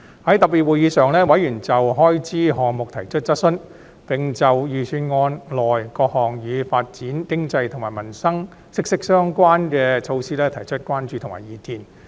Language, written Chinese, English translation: Cantonese, 在特別會議上，委員就開支項目提出質詢，並就預算案內各項與發展經濟及與民生息息相關的措施提出關注和意見。, At the special meetings Members raised questions on various expenditure items and they also expressed concerns and views on measures closely related to economic development and peoples livelihood referred to in the Budget